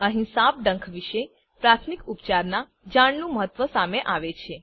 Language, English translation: Gujarati, Here comes the importance of knowing the first aid in case of a snake bite